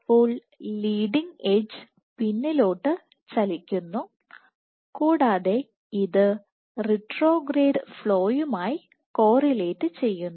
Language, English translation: Malayalam, So, leading edge is retracting and it is correlating with the retrograde flow